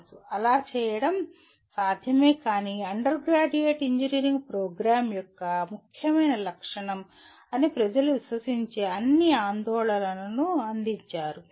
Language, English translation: Telugu, It is possible to do so but provided all the concern people do believe that is an important feature of undergraduate engineering program